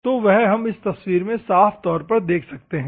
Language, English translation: Hindi, So, that we can see clearly in this picture